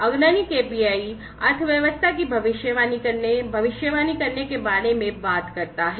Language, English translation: Hindi, So, basically you know leading KPI talks about predicting, predicting the economy